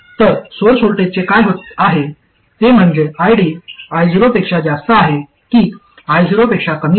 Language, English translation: Marathi, What is happening to the source voltage is a measure of whether ID is greater than I0 or less than I not